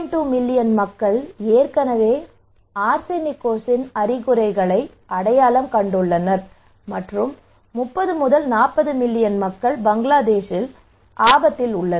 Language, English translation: Tamil, 2 million people already identified symptoms of Arsenicosis okay and 30 to 40 million people are at risk in Bangladesh